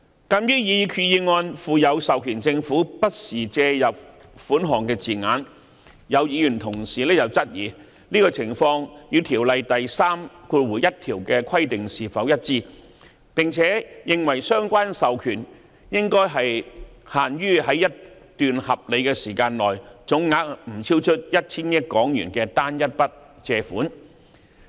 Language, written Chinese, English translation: Cantonese, 鑒於擬議決議案附有授權政府"不時"借入款項的字眼，有議員同事質疑這種情況與條例第31條的規定是否一致，並認為相關授權應限於在一段合理時間內總額不超出 1,000 億港元的單一筆借款。, Noting that the proposed resolution is drafted with the phrase from time to time in authorizing the Government to make borrowings some Honourable colleagues have queried whether this is consistent with section 31 of the Ordinance and thought that the relevant authorization should be confined to a single borrowing transaction with an amount not exceeding HK100 billion within a reasonable period of time